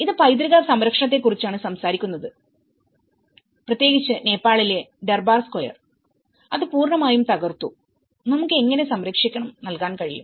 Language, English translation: Malayalam, This is talking about Heritage conservation, especially in Nepal the Durbar Square which has been demolished completely, how we can look at the conservation